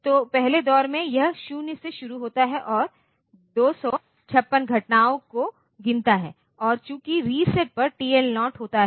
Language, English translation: Hindi, So, in the first round it starts with 0 and counts the 256 events and since on reset TL 0 is 0